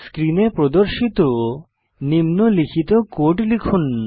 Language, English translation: Bengali, Type the following code as displayed on the screen